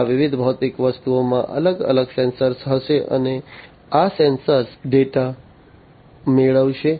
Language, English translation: Gujarati, So, these different physical objects will have different sensors, and these sensors will acquire the data